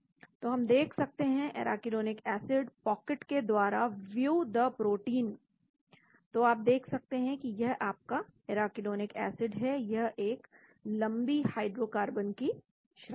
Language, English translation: Hindi, So we can see view the protein from the arachidonic acid pocket , so you can see that this is your arachidonic acid it is a long chain hydrocarbon